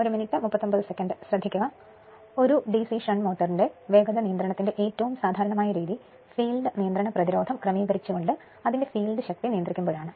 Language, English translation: Malayalam, The the most common method of speed control of a DC shunt motor is when controlling it is field strength by adjusting the field regulating resistance